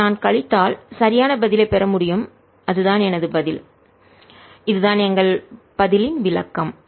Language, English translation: Tamil, if i subtract this, i should get the right answer and that's my answer